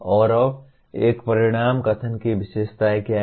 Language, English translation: Hindi, And now what are the features of an outcome statement